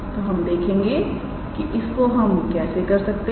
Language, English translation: Hindi, So, let us see how we can do that